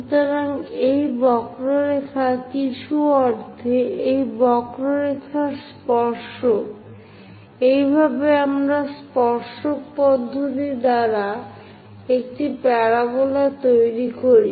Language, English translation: Bengali, So, this curve in some sense tangent to this curves, this is the way we construct a parabola by tangent method